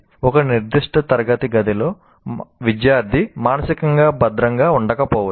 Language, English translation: Telugu, In a particular classroom, the student may not feel emotionally secure